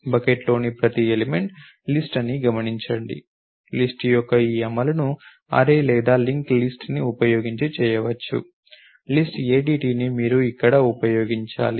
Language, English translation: Telugu, Notice that each element of the bucket is a list, this implementation of a list can be done either using an array or a link list the list ADT is what you need to use over there